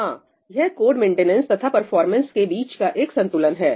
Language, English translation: Hindi, Yeah, it’s a tradeoff of code maintenance versus performance